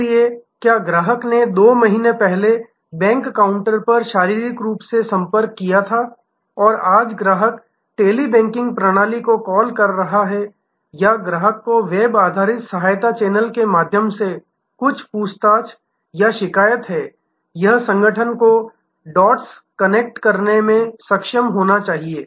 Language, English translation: Hindi, So, whether the customer has contacted two months back physically at the bank counter and today the customer is calling the Tele banking system or customer has some enquiry or complaint through the web based help channel, it is the organization must be able to connect the dots